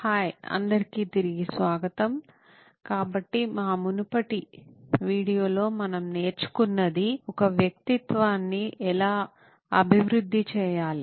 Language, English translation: Telugu, Hi guys welcome back, so in our previous video what we’ve learned is how to develop a persona